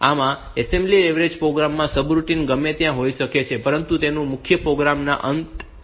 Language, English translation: Gujarati, So, in assembly language program is subroutine may be anywhere in the program, but it is customary to put at the end of the main program